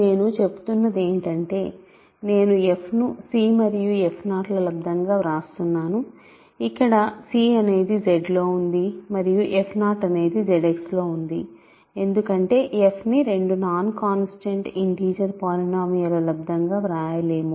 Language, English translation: Telugu, What we are saying is that, I am writing f as c times f 0, where c is in Z 0 in Z X because f cannot be written as a product of two nonzero, sorry two non constant integer polynomials